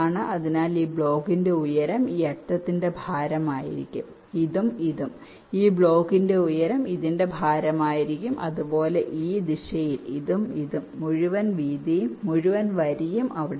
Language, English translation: Malayalam, so the height of this block will be the weight of this edge, this and this, the height of the, this block will be the weight of this